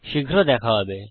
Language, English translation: Bengali, See you soon